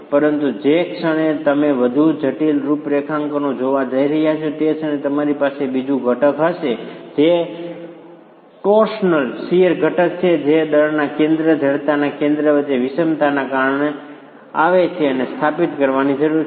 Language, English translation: Gujarati, But the moment you are going to look at more complex configurations, you are going to have a second component which is a torsional shear component that comes because of the eccentricity between the center of mass and center of stiffness and that needs to be established